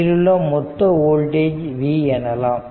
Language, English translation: Tamil, So, now, and total voltage there is v